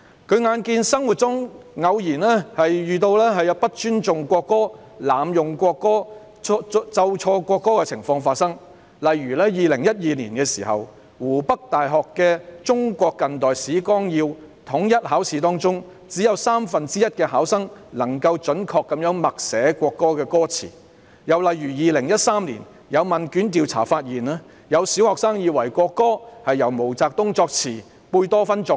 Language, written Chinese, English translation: Cantonese, 他眼見生活中偶有不尊重國歌、濫用國歌、奏錯國歌的情況發生，例如在2012年湖北大學的《中國近代史綱要》統一考試中，只有三分之一考生能準確默寫國歌歌詞；又例如在2013年，有問卷調查發現，有小學生以為國歌是由毛澤東作詞及貝多芬作曲。, He saw that cases of disrespect for and abuse of the national anthem as well as playing the wrong notes during the performance of the national anthem occasionally happened in daily life . For example in 2012 in the uniform examination of Hubei University on Outline of Modern Chinese History only one third of the candidates could accurately recite and write the lyrics of the national anthem . Another example was a questionnaire survey in 2013 which found out that some primary school students thought the lyricist of the national anthem was MAO Zedong and the composer Beethoven